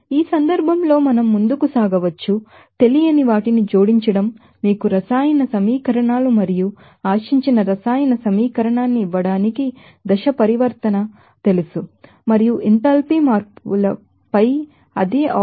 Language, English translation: Telugu, In this case we can proceed is as to add the unknown, you know chemical equations and the phase transition to yield the desired chemical equation and K out the same operation on the enthalpy changes